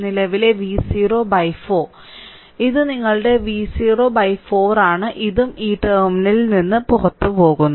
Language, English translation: Malayalam, Another current V 0 by 4, this is your V 0 by 4, this is also living this terminal